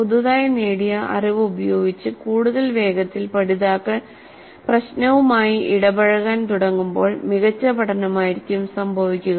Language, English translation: Malayalam, The more quickly learners begin to engage with the problem using their newly acquired knowledge the better will be the learning